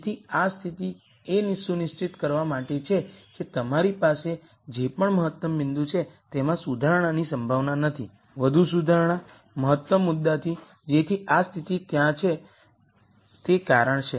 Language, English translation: Gujarati, So, this condition is there to ensure that whatever optimum point that you have, there is no possibility of improvement any more improvement from the optimum point so that is the reason why this condition is there